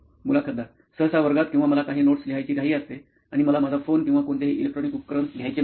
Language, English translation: Marathi, Usually in class or if I am in a hurry to just write some notes and I do not want to take my phone or the any electronic device